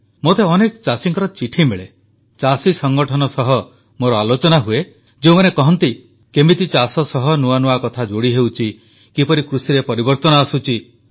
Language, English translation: Odia, I get many such letters from farmers, I've had a dialogue with farmer organizations, who inform me about new dimensions being added to the farming sector and the changes it is undergoing